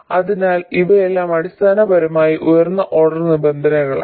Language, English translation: Malayalam, So all of these are basically higher order terms